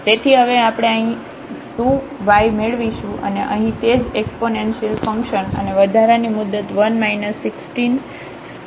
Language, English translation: Gujarati, So, we will get this 2 times y now and here the same exponential function and that the extra term one minus 16 x square minus 4 y square